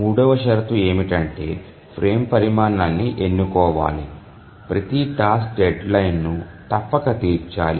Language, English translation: Telugu, Now let's look at the third condition which says that the frame size should be chosen such that every task deadline must be met